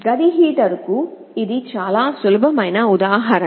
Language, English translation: Telugu, This is a very simple example of a room heater